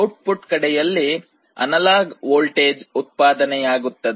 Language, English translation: Kannada, And in the output, we generate an analog voltage